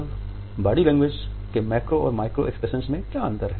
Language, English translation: Hindi, Now, what exactly is the difference between the macro and micro expressions of body language